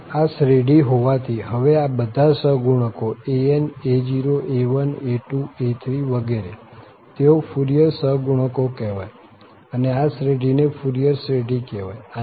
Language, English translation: Gujarati, So, having this series, now these coefficients an, a0, a1, a2, a3, etcetera, they are called the Fourier coefficients and this series here is called the Fourier series